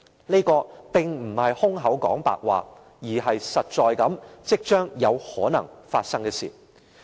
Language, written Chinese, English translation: Cantonese, 這並非空談，而是實在、即將有可能發生的事。, This is no empty talk . Rather it is something practical which may happen very soon